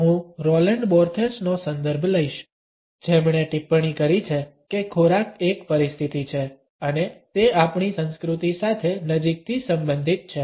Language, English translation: Gujarati, I would prefer to Roland Barthes who has commented that food is a situation and it is closely related with our culture